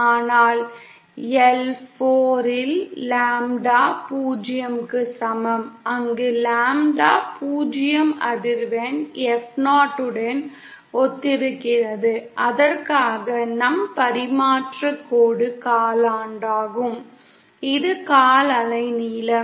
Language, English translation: Tamil, But then L is equal to lambda 0 upon 4, where lambda zero corresponds to the frequency F0 for which the our transmission line is the quarter, is the quarter wave length length